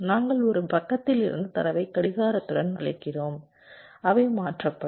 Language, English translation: Tamil, we feed data from one side with clock, they get shifted, we take the data from the other side